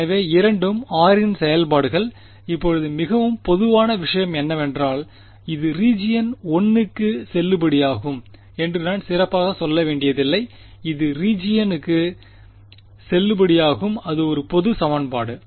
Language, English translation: Tamil, So, both are functions of r now is the most general thing the good thing is that I do not have to specially say this is valid for region 1 this is valid for region 2 its a general equation